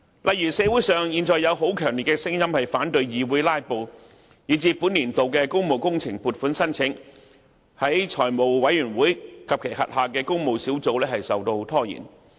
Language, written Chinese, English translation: Cantonese, 例如，現在社會上有很強烈的聲音反對議員"拉布"，以致本年度的工務工程撥款申請在財務委員會及其轄下的工務小組委員會受到拖延。, For example there is a very strong voice in the community against Members filibustering at meetings of the Public Works Subcommittee and the Finance Committee causing delays in the processing of funding applications for works projects in this session